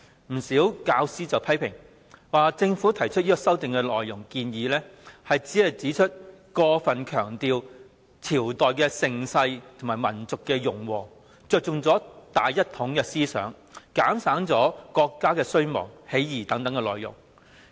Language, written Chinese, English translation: Cantonese, 不少教師批評政府提出的修訂建議過分強調朝代盛世和民族融和，着重於"大一統"思想而減省國家衰亡、起義等內容。, Many teachers criticize the Governments proposed amendments for excessively emphasizing the prosperity of various dynasties and racial harmony as well as focusing on the ideology of unification to the neglect of the declines and downfalls of dynasties uprisings etc